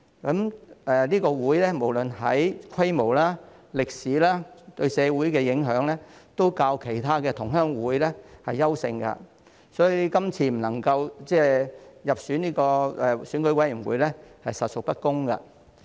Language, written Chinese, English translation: Cantonese, 潮屬總會無論在規模、歷史及對社會的影響方面，都較其他同鄉會優勝，所以這次未能入選成為選委會界別分組的指明實體，實屬不公。, FHKCCC excels over other fellow townsmen associations in terms of scale history and influence on society . Therefore it is indeed unfair that FHKCCC has not been listed as a specific entity of the relevant EC subsector